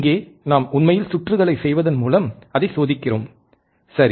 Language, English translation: Tamil, Here we are actually testing it by making the circuit, right